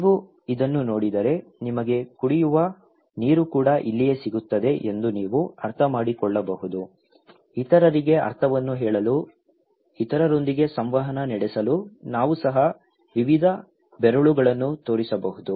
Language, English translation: Kannada, If you see this one, you can understand that this is where you can get drinking water also, we can show various fingers too to tell the meaning to others, communicate with others